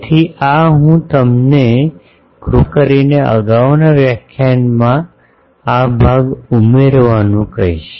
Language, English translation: Gujarati, So, this I you please add this portion to the previous lecture